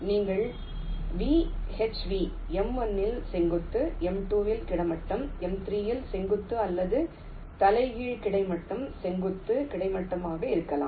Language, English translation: Tamil, like you can have either v, h v, vertical on m one, horizontal on m two, vertical on m three, or the reverse: horizontal, vertical, horizontal